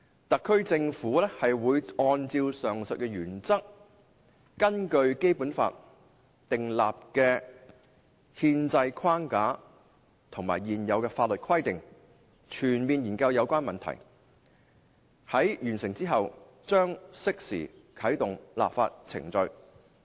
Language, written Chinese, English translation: Cantonese, 特區政府會按照上述原則，根據《基本法》訂立的憲制框架和現有法律規定，全面研究有關問題，在完成之後，將適時啟動立法程序"。, Based on the aforesaid principles the SAR Government is now comprehensively examining the relevant issues in accordance with the constitutional framework established under the Basic Law and the prevailing legal provisions . Upon completion of the study relevant legislative procedures will be rolled out